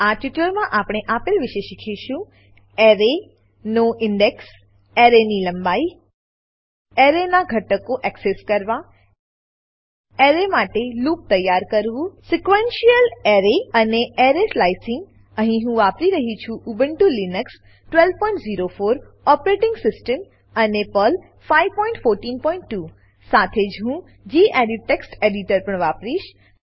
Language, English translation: Gujarati, In this tutorial, we will learn about Index of an array Length of an array Accessing elements of an array Looping over an array Sequential Array And Array Slicing Here I am using Ubuntu Linux12.04 operating system and Perl 5.14.2 I will also be using the gedit Text Editor